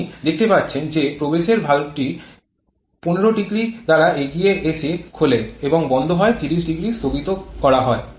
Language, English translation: Bengali, You can see the inlet valve opening has been preponed by 15 degree and is closing by 30 degree it has been postponed by 30 degree